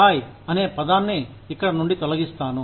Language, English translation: Telugu, I will remove the word, Thai, here, from here